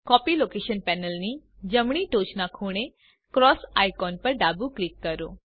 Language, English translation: Gujarati, Left click the cross icon at the top right corner of the Copy location panel